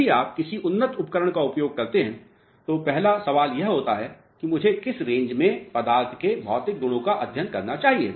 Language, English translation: Hindi, Whenever you use any advance equipment the first question is in which range, I should study the material property